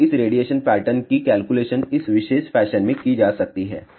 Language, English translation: Hindi, Now, this radiation pattern can be calculated in this particular fashion